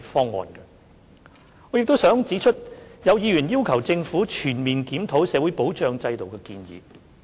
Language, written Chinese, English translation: Cantonese, 此外，我亦想指出，有議員建議政府全面檢討社會保障制度。, In addition I would like to point out that some Members have advised the Government to comprehensively review the social security system